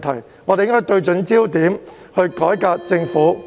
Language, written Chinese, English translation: Cantonese, 因此，大家應該對準焦點，才能改革政府施政。, Therefore we should put our focus on the right spot in order to reform the Governments governance